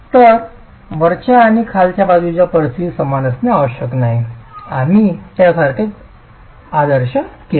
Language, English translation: Marathi, So the top and bottom end conditions need not necessarily be same